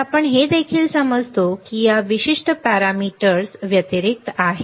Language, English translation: Marathi, So, what we also understand is that apart from these particular parameters